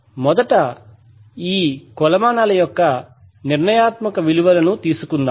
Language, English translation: Telugu, Let us first take the determining value of this metrics